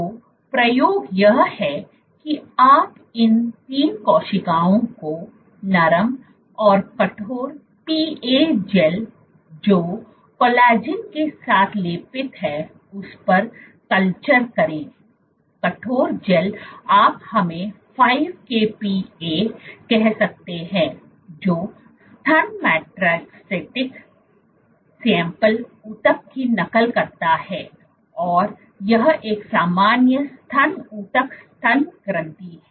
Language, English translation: Hindi, So, the experiment is you culture these 3 cells on soft and stiff PA gels which are coated with collagen the stiff gel you can choose let us say 5 kPa which mimics breast metastatic breast samples breast issue and this one is normal breast issue mammary gland